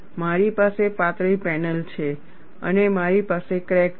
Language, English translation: Gujarati, I have a thin panel and I have a crack